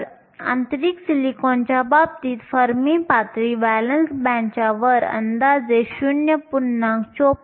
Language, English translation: Marathi, So, in the case of intrinsic silicon the fermi level is located approximately 0